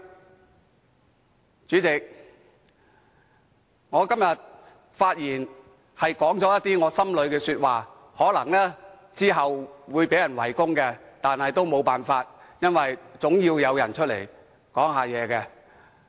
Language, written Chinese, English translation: Cantonese, 代理主席，我在今天的發言中說了一些心底話，可能之後會被人圍攻，但也沒有辦法，因為總要有人站出來表達意見。, Deputy President I have made some heartfelt remarks today and I may be besieged later but there is nothing I can do because someone must step forward and express his views